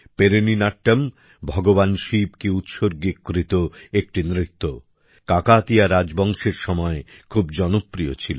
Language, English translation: Bengali, Perini Natyam, a dance dedicated to Lord Shiva, was quite popular during the Kakatiya Dynasty